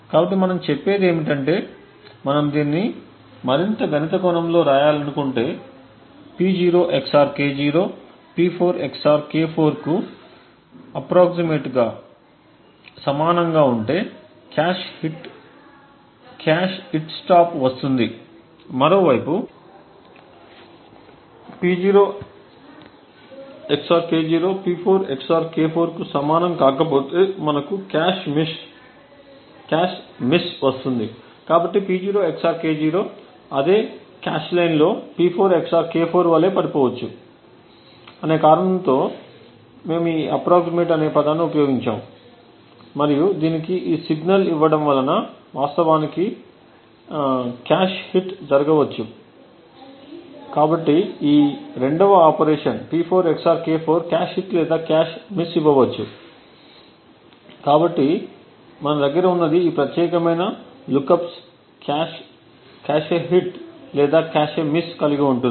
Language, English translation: Telugu, So what we are saying is that if we just want to write it in a more mathematical sense we say that if P0 XOR K0 is approximately equal to P4 XOR K4 then we get a cache hit stop on the other hand if P0 XOR K0 is not equal to P4 XOR K4 then we get a cache miss, so notice that we have used the word approximately and given it this approximate signal because of the reason that P0 XOR K0 may fall in the same cache line as P4 XOR K4 in which case a cache hit could actually happen, so thus the 2nd operation P4 XOR K4 could result either in a cache hit or a cache miss, so what we have is this particular lookups either has a cache hit or a cache miss